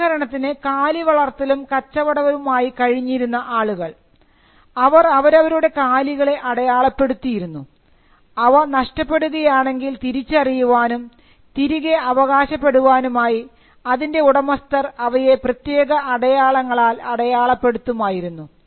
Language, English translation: Malayalam, For instance, people who dealt with cattle had a way by which they could earmark the cattle so that if the cattle got lost, they could identify that as the owners and claim it back